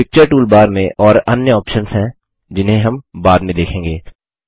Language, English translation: Hindi, There are other options on the Picture toolbar which we will cover later